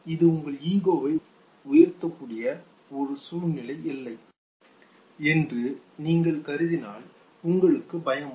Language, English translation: Tamil, If you do not consider this to be a situation that can boost your ego, why will you have fright